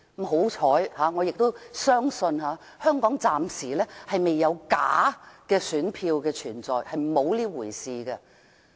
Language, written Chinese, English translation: Cantonese, 幸好，我相信香港暫時沒有假選票存在，沒有這回事。, Fortunately I believe there is no fake vote in Hong Kong for the time being; there is no such thing